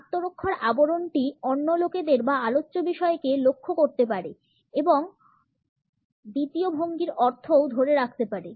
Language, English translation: Bengali, The shield maybe targeting the other people or the topic which is under discussion and it also retains the connotations of the second posture